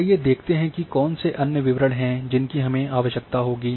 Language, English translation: Hindi, Let us see what are the other details which we will be required